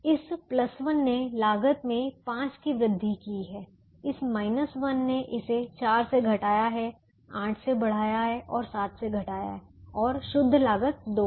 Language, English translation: Hindi, this minus has reduced it by four, increase by eight and reduce by seven and the net cost is two